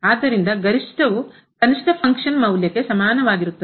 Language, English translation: Kannada, So, the maximum is equal to the minimum the function value